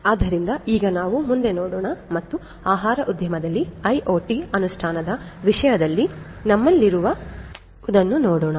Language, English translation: Kannada, So, let us now look further ahead and see what we have in terms of IoT implementation in the food industry